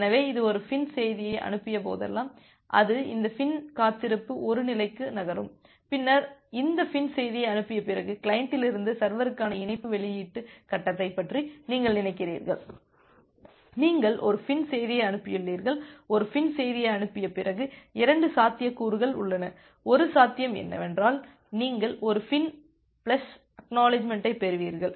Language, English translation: Tamil, So, whenever it has sent a FIN message it moves to this FIN wait 1 state, then after sending this FIN message, you think of the connection release phase from the client to the server; you have sent a FIN message, after sending a FIN message, there are 2 possibilities, 1 possibility is that you get a FIN plus ACK